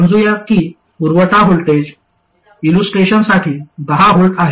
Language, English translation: Marathi, Let's say the supply voltage is for illustration 10 volts